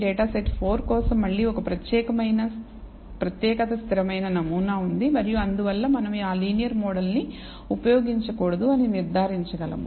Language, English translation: Telugu, For data set 4 again there is a distinct constant pattern and therefore, we can conclude that linear model should not be used